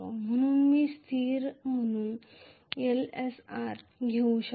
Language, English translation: Marathi, That is why I can take Lsr as a constant